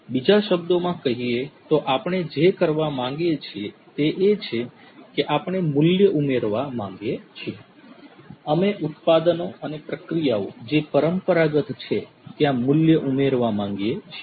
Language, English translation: Gujarati, In other words, what we want to do is that we want to add value; we want to add value to the products and the processes that are already there, the traditional ones